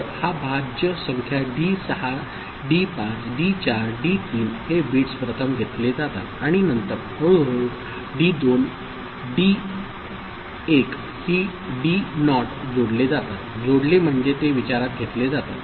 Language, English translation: Marathi, So, this dividend D6 D5 D4 D3 these bits are taken first, right and then gradually D2 D1 D naught are added; added means it comes into the consideration